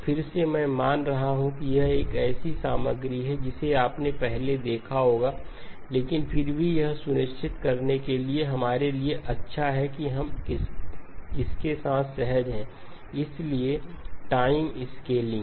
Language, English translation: Hindi, Again, I am assuming this is material that you would have seen before but nevertheless good for us to make sure that we are comfortable with the, so time scaling